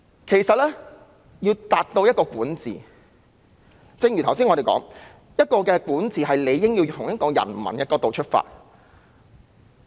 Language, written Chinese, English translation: Cantonese, 其實說到管治，正如我們剛才說，管治理應從人民的角度出發。, In fact governance as we just said should be considered from the perspective of the people